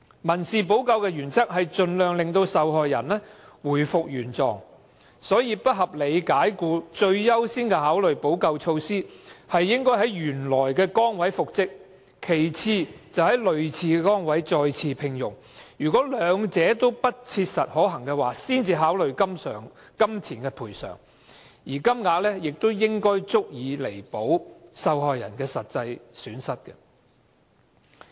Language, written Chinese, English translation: Cantonese, 民事補救的原則是盡量令受害人回復原狀，所以不合理解僱最優先的考慮補救措施應是讓僱員在原來崗位復職，其次是在類似崗位再獲聘用，兩者皆不切實可行，才考慮予以金錢賠償，而賠償金額亦應足以彌補受害人的實際損失。, The principle of civil remedy is to reinstate the victim as far as possible . Hence the first remedy to be considered should be to reinstate the employee to his original post the second consideration is to re - engage him in a similar position and only when both remedies are impracticable should a monetary compensation be considered but the amount of money should be sufficient to compensate the actual loss of the victim